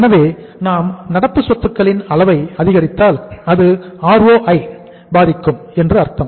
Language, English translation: Tamil, So if we increase the level of current assets it means it is going to impact the ROI, return on investment